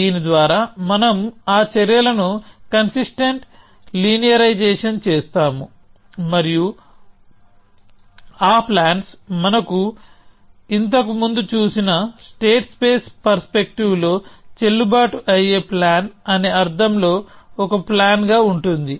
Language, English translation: Telugu, And by this we mean we take any consistent linearization of those actions, and that action will be a plan in the sense of those plans being a valid plan in the state space perspective that we have seen earlier